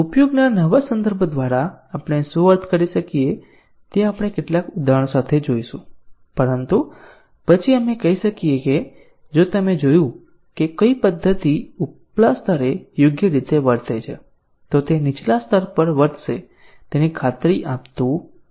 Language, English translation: Gujarati, We will see this with some examples what we mean by new context of usage, but then we can say that, if you observed that a method has behaved correctly at an upper level does not guarantee that it will behave at a lower level and